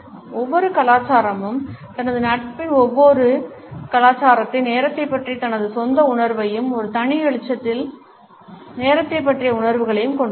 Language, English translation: Tamil, Every culture has his own perception of time every culture of his friendship and a perception of time in a separate light